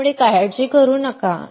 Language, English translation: Marathi, So, do not worry about it